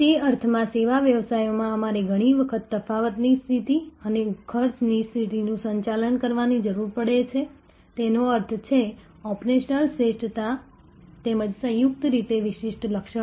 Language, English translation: Gujarati, In that sense in service businesses we often need to manage the differentiation position and the cost position; that means operational excellence as well as distinctive features in a combined manner